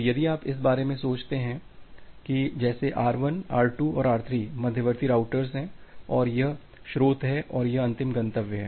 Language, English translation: Hindi, So, if you think about this as the intermediate routers R1, R2 and R3 and this is the source and this is the final destination